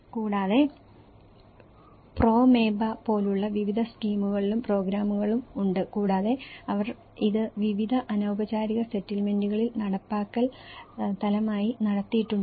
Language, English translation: Malayalam, And there are also various schemes and programmes like Promeba is one of the program and they have also conducted this as implementation level in various informal settlements